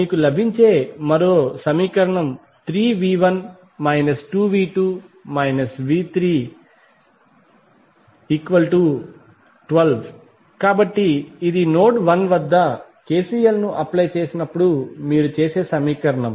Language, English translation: Telugu, So, one equation which you got is 3V 1 minus 2V 2 minus V 3 is equal to 12, so this is the equation you got while applying KCL at node 1